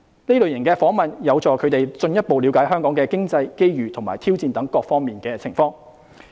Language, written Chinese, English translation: Cantonese, 這類訪問有助他們進一步了解香港經濟、機遇和挑戰等各方面的情況。, Such visits were useful for them to have a better understanding of such aspects as the economy opportunities and challenges of Hong Kong